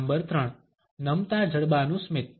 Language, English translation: Gujarati, Number 3 the drop jaw smile